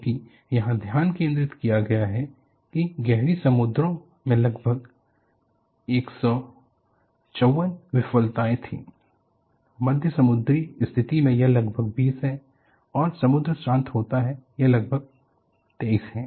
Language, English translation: Hindi, Because, the focus here is, there were failures in heavy seas about 154, in moderate sea condition it is about 20, when the sea is calm, it is about 23